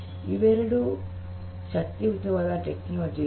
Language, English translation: Kannada, Both are very powerful technologies